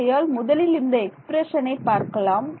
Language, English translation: Tamil, So, I will yeah, we can we can look at this expression over here